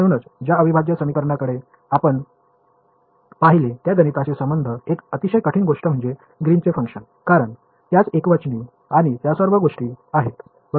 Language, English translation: Marathi, So, in integral equations which we looked at, one of the very difficult things to deal with mathematically was Green’s function because, it has singularities and all of those things right